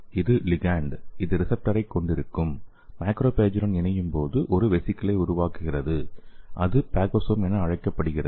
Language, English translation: Tamil, That is your ligand and when binds to the macrophage which is having the receptor so and it form a vesicle, so that is called as phagosome